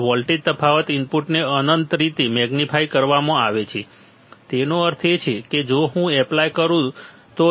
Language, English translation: Gujarati, And the voltage difference the input is magnified infinitely that means, that if I apply if I apply